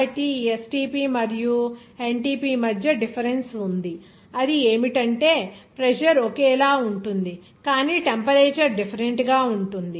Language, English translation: Telugu, So, there is a difference of this STP and NTP is that pressure will be same but temperature will be different